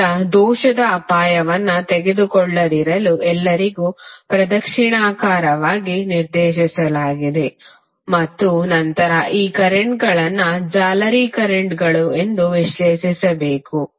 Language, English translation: Kannada, Now, all have been assigned a clockwise direction for not to take risk of error and then we have to analyse these currents which are called mesh currents